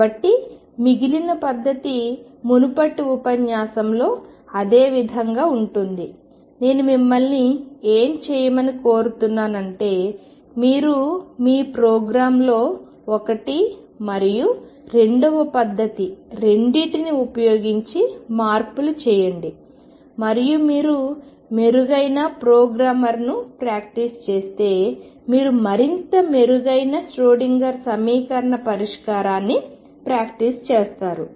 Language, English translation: Telugu, So, what I would urge you to do and the rest of the method is the same as in previous lecture that play with your programme using both method one and method two and see what you get more you practice better programmer better Schrodinger equation solver you would become